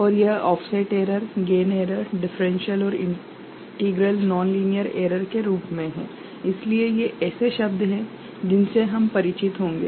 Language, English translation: Hindi, And this is in the form of offset error, gain error, differential and integral nonlinearity error, so these are the terms that we shall get familiarized with